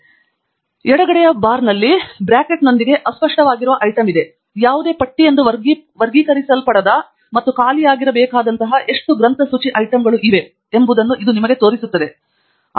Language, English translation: Kannada, This is what I was alerting it to you on the left hand side bar there is an item called unfiled with a bracket; it just shows you how many bibliographic items are there which are not categorized as any list and those must be emptied